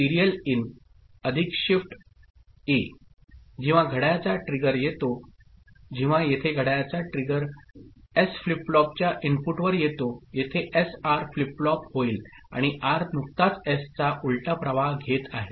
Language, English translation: Marathi, When a clock trigger comes; when a clock trigger comes at the input of the S flip flop over here; SR flip flop over here and R is just taking the invert of S